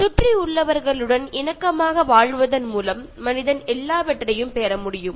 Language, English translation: Tamil, By living in harmony with the surrounding, man can gain everything